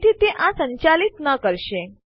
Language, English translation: Gujarati, Therefore it wont execute this